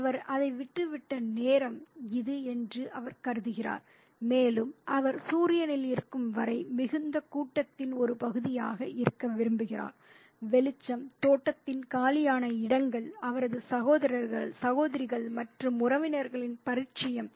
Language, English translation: Tamil, He thinks that it's time that he left it and he desires to be part of the milling crowd as long as he could be in the sun, the light, the free spaces of the garden, the familiarity of his brothers, sisters and cousins